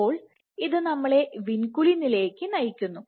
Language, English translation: Malayalam, So, this brings us to vinculin